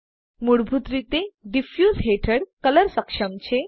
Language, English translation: Gujarati, By default, Color under Diffuse is enabled